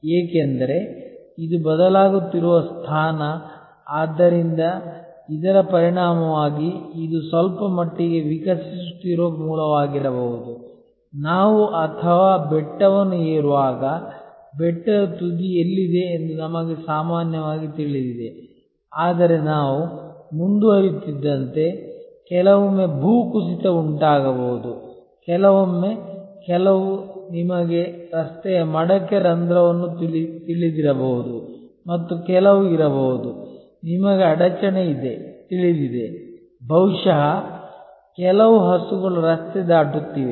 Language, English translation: Kannada, Because, this is a changing position, this is a changing position, so as a result this may be actually a somewhat evolving root, just as when we or climbing a hill, then we know generally where the hill top is, but as we proceed sometimes there may be a landslides, sometimes there maybe some you know pot hole on the road and there may be some, you know obstruction, maybe some cows are crossing the road